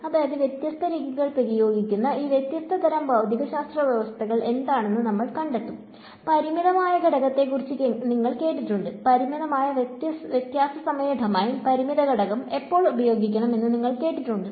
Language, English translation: Malayalam, So, we will find out what are these different kinds of regimes of physics in which different methods get applied; you heard of finite element, you heard of a finite difference time domain, finite element, when should use which